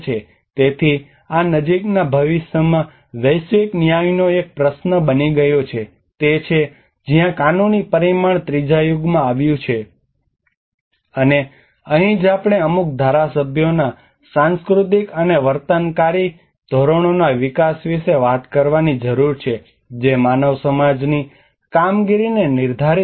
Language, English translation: Gujarati, So this is become a question of global justice in the near future that is where the legal dimension came in third era which is, and this is where we need to talk about develop of certain legislative cultural and behavioral norms which determine the functioning of human society and how the interactions between nature and society were created